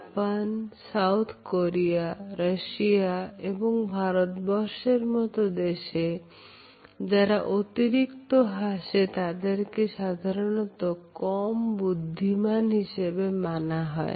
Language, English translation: Bengali, One researcher found in countries like Japan, India, South Korea and Russia smiling faces were considered less intelligent than serious ones